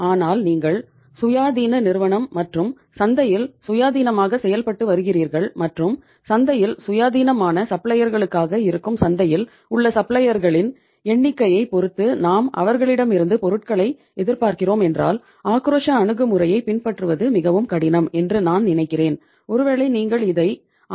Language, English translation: Tamil, But otherwise if you are independent company and independently operating in the market and depending upon the say number of suppliers in the market who are independent free suppliers in the market we are expecting the supplies from them then I think following the aggressive approach will be very very difficult and maybe you can call it as risky also